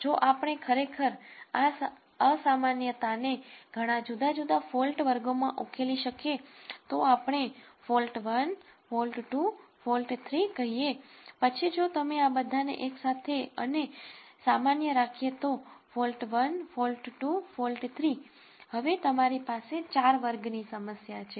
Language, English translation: Gujarati, If we could actually further resolve this abnormality into several different fault classes, let us say fault 1, fault 2, fault 3 then if you put all of this together normal fault 1, fault 2, fault 3, now you have a 4 class problem